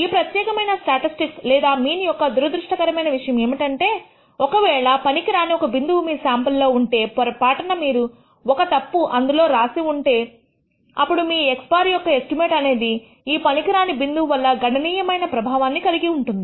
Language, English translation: Telugu, The one unfortunate aspect of this particular statistic or mean is that it is if there is one bad data point in your sample, by mistake you have made a wrong entry, then your estimate of x bar can be significantly affected by this bad value